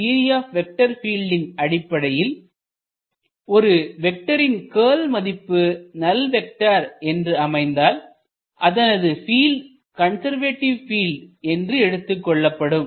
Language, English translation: Tamil, So, in general in field theory if the curl of a particular vector field is a null vector, that field is a conservative field